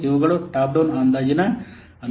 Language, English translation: Kannada, These are the advantages of top down estimation